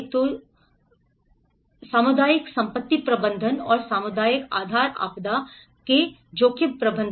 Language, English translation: Hindi, So this is where the community asset management and the community base disaster risk management